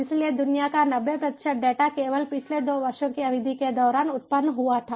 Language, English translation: Hindi, ok, so ninety percent of worlds data was generated only during the period of last two years